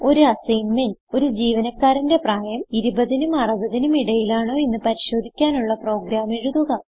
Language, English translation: Malayalam, As an assignment, Write a program to check whether the age of the employee is between 20 to 60